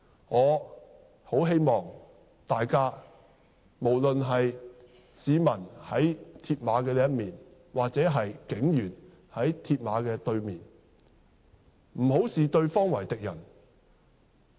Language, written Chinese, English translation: Cantonese, 我很希望大家，無論是在鐵馬另一面的市民或在鐵馬對面的警員，不要視對方為敵人。, I very much hope that all of us be it members of the public on one side of the mill barriers or policemen on the opposite side of them will not view each other as enemies